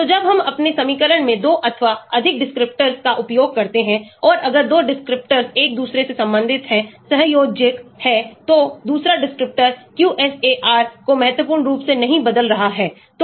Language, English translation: Hindi, so when we use 2 or more descriptors in my equation and if 2 descriptors are highly related with each other, covariant, then the second descriptor is not significantly changing the QSAR